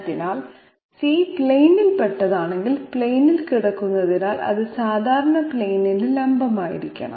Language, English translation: Malayalam, So if C is belonging to the plane, lying on the plane therefore, it has to be perpendicular to the normal to the plane as well